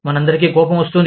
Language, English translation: Telugu, All of us, get angry